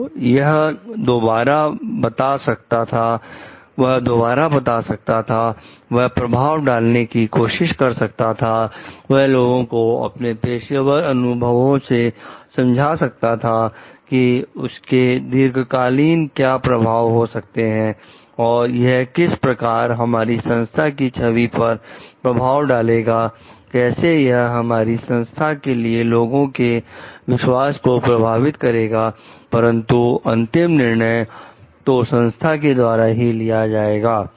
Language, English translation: Hindi, So, he may report again, he may try to influence, he may try to make people understand with his professional expertise what could be the long term effect of this thing and how it is going to affect the image of the organization, how it is going to affect the trustworthiness of the organization to the public at large, but the ultimate decision will be taken by the organization